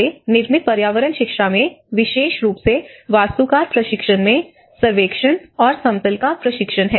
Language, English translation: Hindi, In our built environment education, especially in the architects training, we do have training on the surveying and leveling